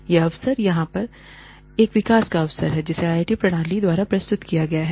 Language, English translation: Hindi, What this opportunity here is, a development opportunity, offered by the IIT system